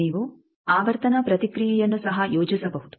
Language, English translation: Kannada, You can plot the frequency response also